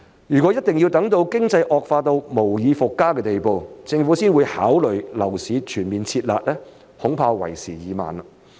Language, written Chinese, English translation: Cantonese, 如果一定要等到經濟惡化到無以復加的地步，政府才會考慮樓市全面"撤辣"，恐怕為時已晚。, If the Government must wait until the economy has deteriorated to its worst before considering to withdraw all the harsh measures imposed on the property market I am afraid it will be too late